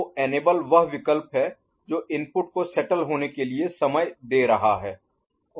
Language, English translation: Hindi, So, enable is giving that you know option period for the inputs to get settled